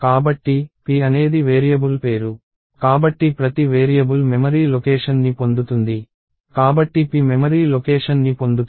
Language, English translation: Telugu, So, p is a variable name, so every variable gets a memory location, so p gets a memory location